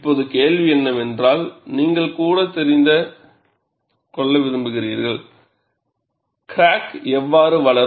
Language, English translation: Tamil, Now, the question is, you also want to know how the crack would grow